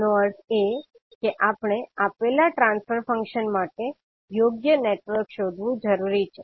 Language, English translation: Gujarati, That means we are required to find a suitable network for a given transfer function